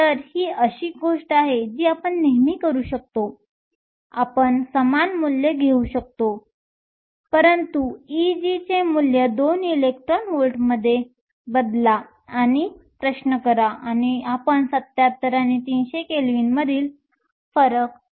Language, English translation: Marathi, So, that is something you can always work out you can take the same values, but change the value of E g to 2 electron volts, and do this question and you can see the difference between 77 and 300 Kelvin